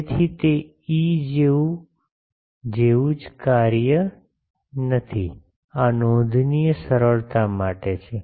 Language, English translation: Gujarati, So, it is not the same function as E, this is for notational simplicity ok